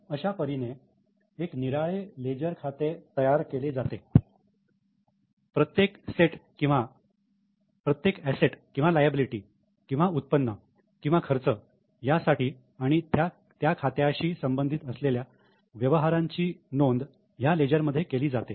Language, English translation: Marathi, This is how a separate leisure account is created for every asset or a liability or income or expense and transactions related to that account are recorded in the leisure